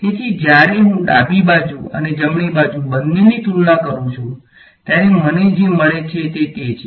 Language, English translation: Gujarati, So, when I compare both the left hand side and the right hand side what I get is